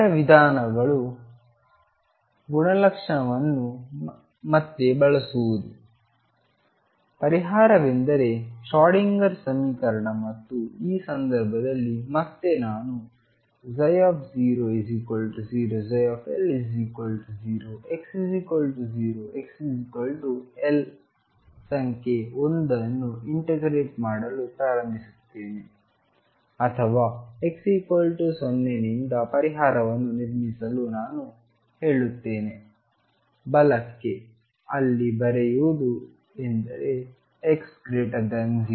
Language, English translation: Kannada, The other method could be again using the property is the solution is the Schrodinger equation and this case again I have psi 0 equals 0 psi L equals 0 x equals 0 x equals L number 1 start integrating or what I say building up the solution from x equals 0 to the right, where write means x greater than 0